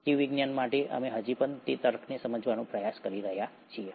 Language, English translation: Gujarati, For biology, we are still trying to understand those logics